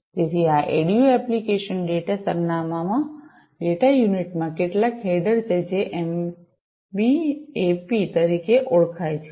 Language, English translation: Gujarati, So, this ADU application data address, data unit has some header, which is known as the MBAP